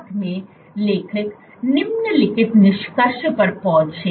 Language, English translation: Hindi, Together the authors came to the following conclusion